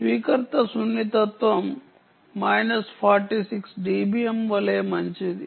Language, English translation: Telugu, ah receiver sensitivity is as good as minus forty six d b m